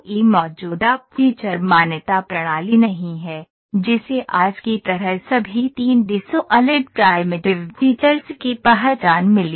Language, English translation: Hindi, There is no existing feature recognition system, that got recognise all 3D solid primitives as of today